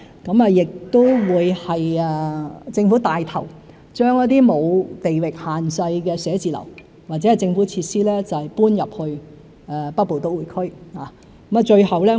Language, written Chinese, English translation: Cantonese, 政府亦會牽頭，將一些沒有地域限制的寫字樓或政府設施搬進北部都會區。, The Government will also take the lead to relocate government offices and facilities which are non - location - bound to the Northern Metropolis